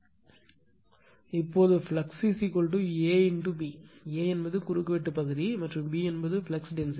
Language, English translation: Tamil, Now, flux is equal to A into B; A is the cross sectional area, and B is the flux density